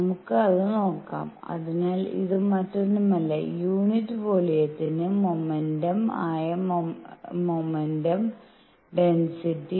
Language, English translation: Malayalam, Let us see that; so, this is nothing, but momentum density that is momentum per unit volume per unit volume